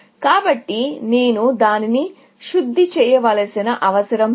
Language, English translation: Telugu, So, I do not really need to refine that